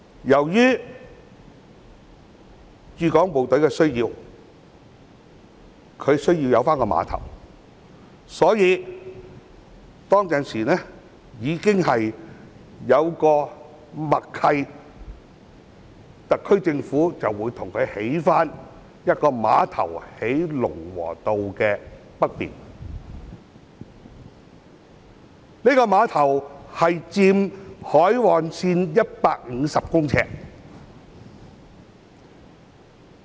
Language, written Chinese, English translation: Cantonese, 由於駐港部隊需要有碼頭，所以當時已有默契，特區政府會在龍和道北面為駐港部隊重建一個碼頭，佔海岸線150米。, As the Hong Kong Garrison needs a dock there was hence a tacit understanding at that time that a dock for the Hong Kong Garrison would be re - provisioned by the SAR Government at a site to the north of Lung Wo Road occupying 150 m of the shoreline